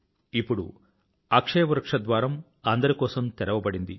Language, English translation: Telugu, Now the entrance gate of Akshayavat have been opened for everyone